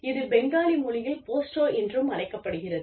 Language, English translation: Tamil, In Hindi, it is also, it is known as, Posto in Bengali